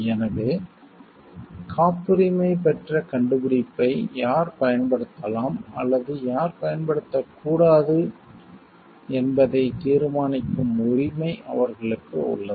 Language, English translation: Tamil, So, they have the rights to decide who can or who cannot use the patented invention